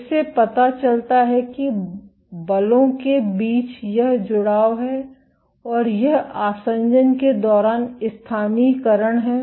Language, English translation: Hindi, This shows that there is this association between forces and it is localization during adhesion